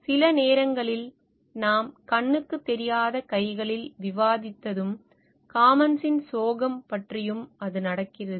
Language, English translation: Tamil, Sometimes, it what happens as we discussed in invisible hands and the tragedy of commons